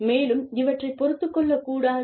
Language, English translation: Tamil, And, should not be tolerated